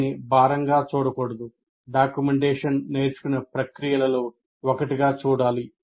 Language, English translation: Telugu, It's a, it should be seen, documenting should be seen as a, as one of the processes of learning